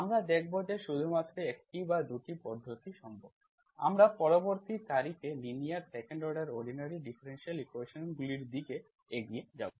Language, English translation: Bengali, We will see only one or 2 methods is possible, later on we will move on to linear 2nd order ordinary differential equations at a later date